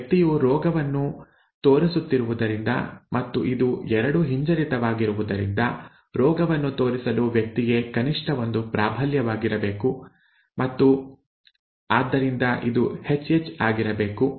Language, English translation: Kannada, Since this person is showing the disease and this is both recessive, it has to be at least one dominant for the person to show the disease and therefore this has to be small h and capital H